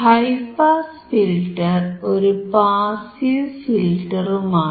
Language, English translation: Malayalam, So, it is a high pass filter using passive component